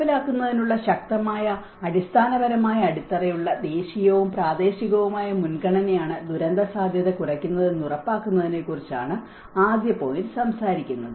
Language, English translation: Malayalam, The first point talks about ensure that disaster risk reduction is a national and the local priority with a strong institutional basis for implementation